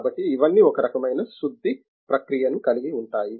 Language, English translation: Telugu, So, all these involve some kind of a refining process